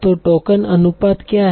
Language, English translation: Hindi, So what is type token ratio